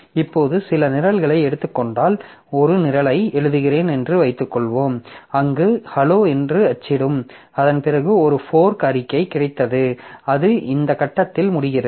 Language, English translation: Tamil, Now if we take some variants like say, suppose I am writing a program where I write like say print F hello and after that I have got a fork statement and it ends at this point